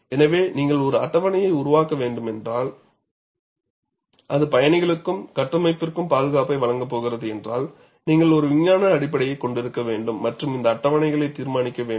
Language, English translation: Tamil, So, if you have to develop a schedule, which is also going to give you safety for the passengers, as well as the structure, you have to have a scientific basis and decide these schedules